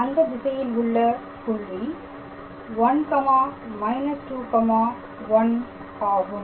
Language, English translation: Tamil, The point is 1 minus 2 minus 1 in the direction